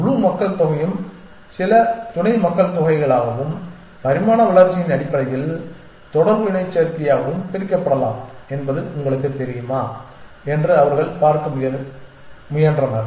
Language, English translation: Tamil, They have try to see whether you know the whole population can be partitioned into some sub populations and evolution basically interaction mating